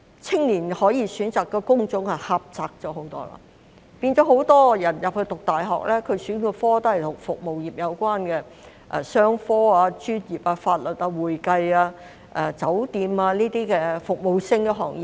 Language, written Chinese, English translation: Cantonese, 青年可以選擇的工種狹窄了很多，很多人入讀大學時選修的科目也與服務業有關，例如商科、專業、法律、會計、酒店等服務性行業。, The range of jobs which young people may choose has become much narrower . The subjects taken by university students are mostly related to the service industry such as business professional service law accounting and hotel service